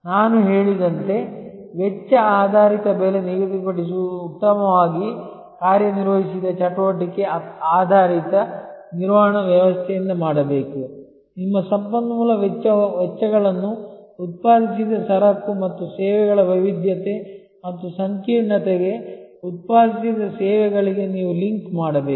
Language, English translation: Kannada, A cost based pricing as I said should be done by very well worked out activity based management system, you have to link your resource expenses to the variety and complexity of goods and services produced, services produced